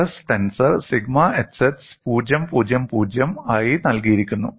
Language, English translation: Malayalam, Stress tensor is given as sigma xx 000